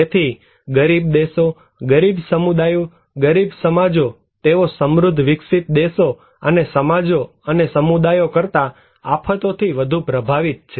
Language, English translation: Gujarati, So, poorer the countries, poorer the communities, poorer the societies, they are more affected by disasters than the prosperous developed nations and societies and communities